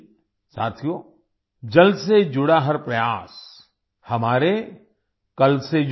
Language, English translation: Hindi, Friends, every effort related to water is related to our tomorrow